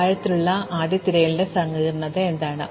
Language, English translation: Malayalam, So, what is the complexity of depth first search